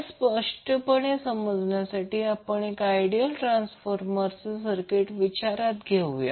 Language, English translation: Marathi, So to understand this more clearly will we consider one circuit of the ideal transformer